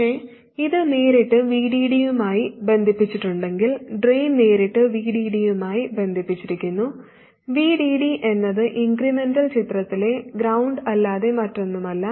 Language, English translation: Malayalam, But if this is connected directly to VDD, the drain is connected directly to VDD, VDD is nothing but ground in the incremental picture